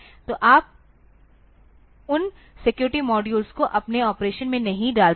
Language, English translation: Hindi, So, you do not put those security modules into your operation